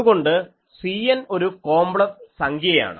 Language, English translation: Malayalam, So, C n is a complex quantity